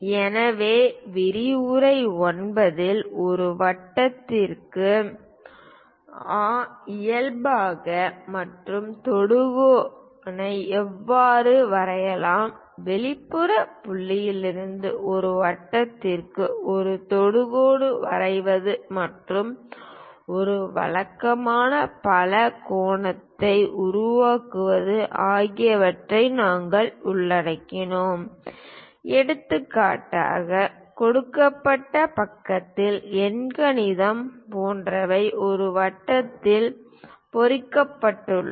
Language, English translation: Tamil, So, in lecture 9 especially we covered how to drawnormal and tangent to a circle, how to draw a tangent to a circle from exterior point and how to construct a regular polygon for example, like octagon of given side circumscribeinscribed in a circle